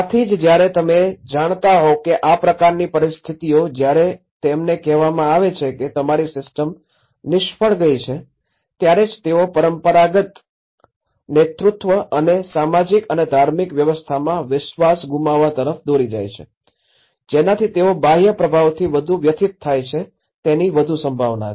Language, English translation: Gujarati, That is where such kind of situations you know when they were made aware that your system have failed that is where they leads to the loss of faith in the traditional leadership and hierarchies of the social and the religious order making the distressed community still more prone to the external influence